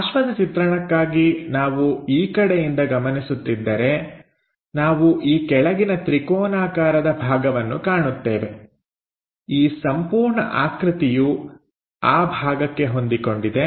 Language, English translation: Kannada, For side view, if we are observing from this direction, we see these bottom triangular portion; this entire thing is mapped on to that region